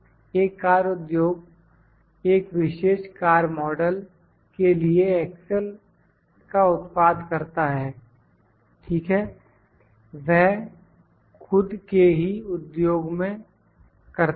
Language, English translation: Hindi, A car industry produces axle for a particular type of car model, ok, in its own industry